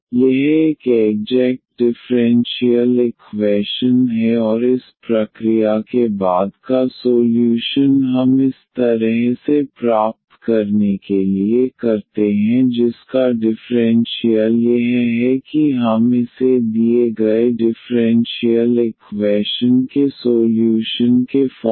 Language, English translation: Hindi, So, this is an exact differential equation and the solution after the process we follow for getting such a f whose differential is this we can get this as these solution of this given differential equation